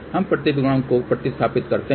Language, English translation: Hindi, Now, let us see where is reflection coefficient